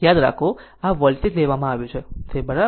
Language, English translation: Gujarati, Remember, this voltage is taken is ok